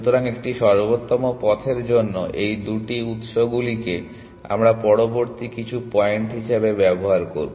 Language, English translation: Bengali, So, for an optimal path these two this sources this we will use as some later point